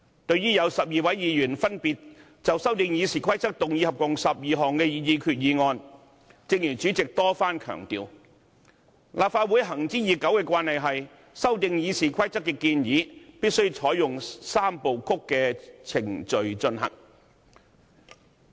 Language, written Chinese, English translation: Cantonese, 對於有12位議員分別就修訂《議事規則》動議合共12項擬議決議案，正如主席多番強調，立法會行之已久的慣例是，修訂《議事規則》的建議必須採用"三部曲"程序進行。, With regard to a total of 12 proposed resolutions moved respectively by 12 Members to amend the Rules of Procedure as pointed out repeatedly by the President it has been an established practice of the Legislative Council to adopt a three - step procedure to process proposed amendments to the Rules of Procedure